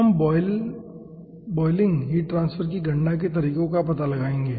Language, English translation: Hindi, we will be finding out the methodologies for calculation of flow boiling heart transfer